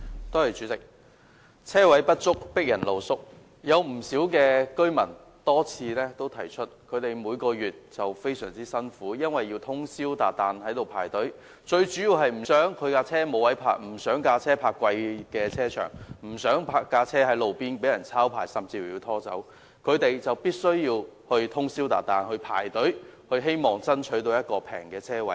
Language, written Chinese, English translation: Cantonese, 代理主席，"車位不足，迫人露宿"，有不少居民多次提出，他們每月非常辛苦，因為要通宵達旦排隊，最主要是不想其車輛沒有可停泊的位置、不想車輛停泊在收費高昂的停車場，以及不想車輛停泊在路邊被抄牌甚至拖走，他們因而必須通宵達旦排隊，希望能爭取一個便宜的車位。, Deputy President insufficient parking spaces force people to wait overnight for a space . Many people have pointed out that they have to try very hard every month to queue overnight for a parking space so that they can have a space to park their car and do not need to park in expensive car parks or have their car ticketed or towed away for parking on the street . They thus have to queue overnight for a cheap parking space